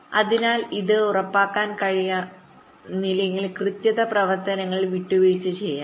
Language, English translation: Malayalam, so if this cannot be ensured, then the correctness operations can be compromised